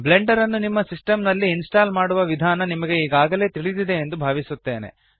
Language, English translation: Kannada, I assume that you already know how to install blender on your system